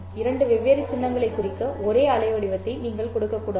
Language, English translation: Tamil, You can't use the same waveform to represent two different symbols